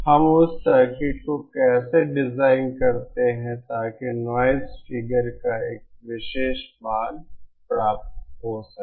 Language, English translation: Hindi, How do we design that circuit so as to achieve a particular value of noise figure